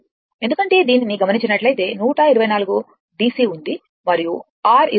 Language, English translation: Telugu, Because, if you look into that that 124 DC is there and your R is 20 ohm